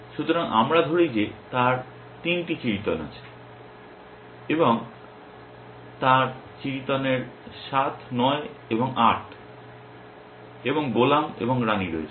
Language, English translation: Bengali, So, let us say he has 3 of clubs and he has a 7 of clubs and the 9 of clubs and the 8 of clubs and jack of clubs and the queen of clubs